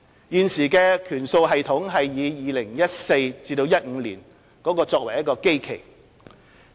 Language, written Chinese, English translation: Cantonese, 現時的權數系統以 2014-2015 年度作基期。, The base year of the current weighting system is 2014 - 2015